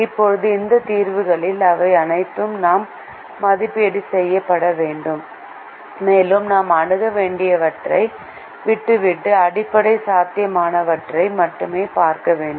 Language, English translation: Tamil, now, out of these solutions, we have to evaluate all of them and we have to leave out the infeasible ones and look only at the basic feasible ones